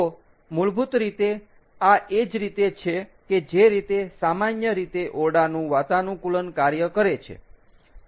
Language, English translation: Gujarati, so, essentially, this is pretty much the way the normal room air conditioners work